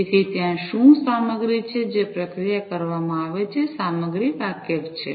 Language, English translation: Gujarati, So, what is there the content the processing is done, content aware